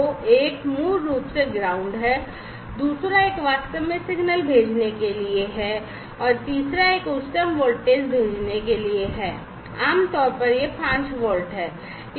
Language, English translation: Hindi, So, one is basically the ground, the second one is for actually sending the signal, and the third one is for sending the highest voltage, typically, it is the 5 volts